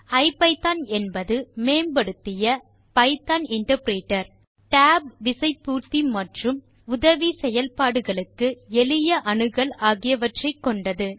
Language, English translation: Tamil, IPython is an enhanced Python interpreter that provides features like tab completion, easier access to help and many other functionalities